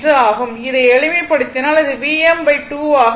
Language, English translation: Tamil, So, if you simplify this, it will be V m by 2 right